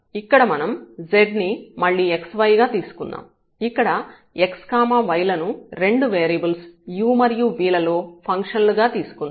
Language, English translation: Telugu, So, u and v and then we have here y is a function of again of 2 variables u and v